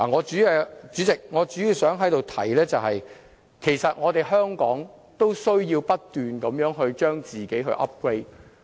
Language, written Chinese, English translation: Cantonese, 主席，我主要想在這裏提出，其實香港都需要不斷將自己 upgrade。, President I mainly wish to point out that indeed Hong Kong also needs ongoing upgrade